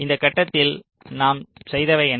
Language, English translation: Tamil, so in this step, what are the things that we have done